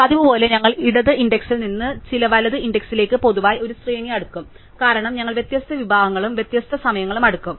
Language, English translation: Malayalam, As usual, we will sort in general an array from some left index to some right index, because we would sort different segments at different times